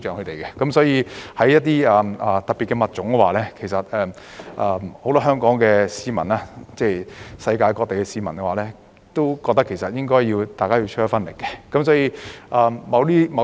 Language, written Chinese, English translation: Cantonese, 對於保護一些特別的物種，很多香港市民和世界各地的市民都認為應該要出一分力。, Many people in Hong Kong and around the world feel responsible for protecting special species